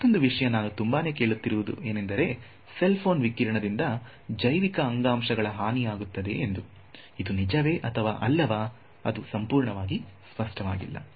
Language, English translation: Kannada, The other thing for example, we hear about a lot is cell phone radiation damage to let us say biological tissue, is it true is it not true well, it is not fully clear